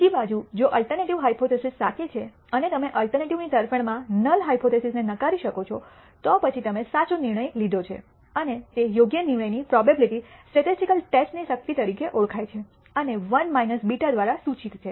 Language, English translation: Gujarati, On the other hand if the alternative hypothesis is true and do you do reject the null hypothesis in favor of the alternative then you have made a correct decision and that correct decision probability is known as power of the statistical test and is denoted by 1 minus beta